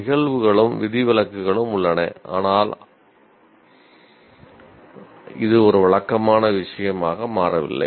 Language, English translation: Tamil, There are instances and exceptions but it is not a kind of a routine thing as yet